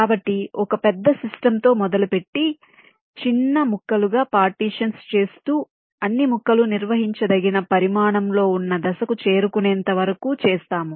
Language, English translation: Telugu, ok, so, starting with a large system, we continually go on partitioning it in a smaller and smaller pieces until we reach a stage where all the pieces are of manageable size